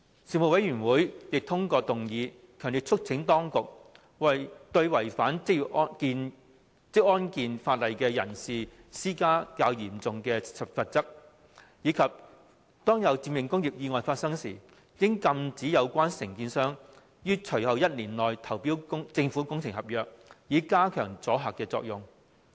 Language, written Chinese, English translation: Cantonese, 事務委員會亦通過議案，強烈促請當局加重對違反職安健法例人士的罰則，並禁止涉及致命工業意外的承建商於緊隨意外發生後1年內投標政府工程合約，以加強阻嚇作用。, The Panel also passed a motion strongly urging the authorities to increase the penalties on people having breached the relevant occupational safety and health legislation and forbid the company involved in a fatal industrial accident to tender in government works contracts within the one year immediately following the occurrence of the accident so as to enhance the deterrence effect